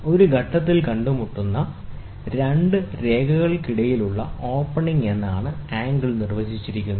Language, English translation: Malayalam, Angle is defined as the opening between two lines which meets at a point